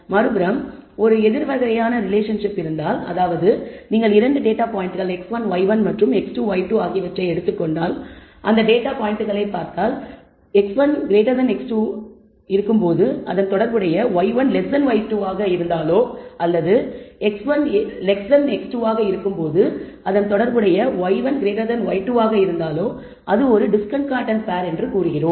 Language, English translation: Tamil, On the other hand if there is an opposite kind of relationship, so, if you take 2 data points x 1, y 1 and x 2 y 2 and we say that you know we look at the data points and find that if x 1 is greater than x 2, but the corresponding y 1 is less than y 2 or if x 1 is less than x 2, but y 1 is greater than y 2 then we say it is a discordant pair